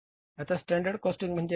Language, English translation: Marathi, Now what is standard costing